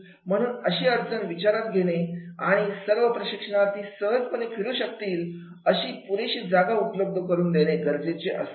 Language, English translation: Marathi, So this type of the issues are to be taken care of and there should be enough space for the trainees to move easily around in